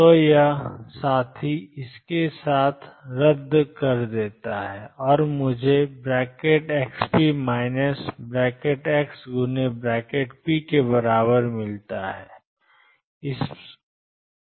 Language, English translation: Hindi, So, this fellow cancels with this and I get this equal to expectation value of x p minus x p